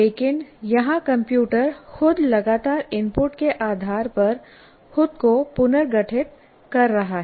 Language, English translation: Hindi, But here the computer itself is continuously reorganizing itself on the basis of input